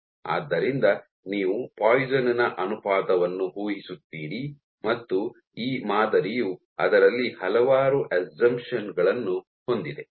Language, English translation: Kannada, So, you assume the Poisson’s ratio and this model itself has various assumptions built into it